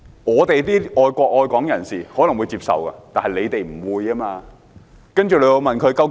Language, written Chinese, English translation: Cantonese, "我們愛國愛港人士可能會接受這解釋，但反對派卻不會。, While we who love the country and Hong Kong would accept this explanation opposition Members would not